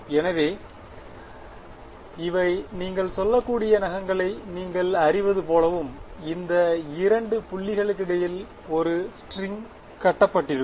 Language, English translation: Tamil, So, these are like you know nails you can say and a string is tied at these two points between this end between